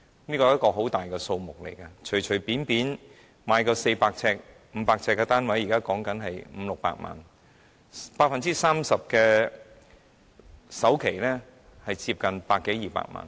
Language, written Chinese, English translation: Cantonese, 這是很大的數目，因為隨便一個400至500平方呎的單位，現時的樓價約500萬元至600萬元 ，30% 的首期即接近100萬元至200萬元。, This is a significant amount because the current property price for any flat in the range of 400 sq ft to 500 sq ft is about 5 million to 6 million an 30 % down payment will be almost 1 million to 2 million